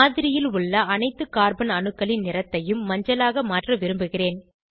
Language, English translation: Tamil, I want to change the colour of all the Carbon atoms in the model, to yellow